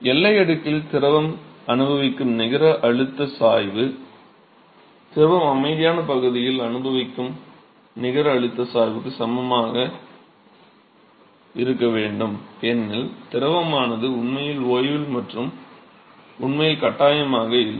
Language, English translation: Tamil, So, therefore, the net pressure gradient that the fluid experiences in the boundary layer should be equal to the net pressure gradient that the fluid experiences in the quiescent region because the fluid is not being force too at all its actually at rest and